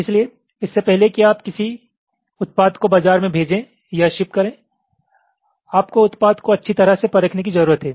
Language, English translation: Hindi, so before you can send or ship a product you have fabricated to the market, you need to thoroughly test the product